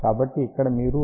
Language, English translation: Telugu, 01 that will be 0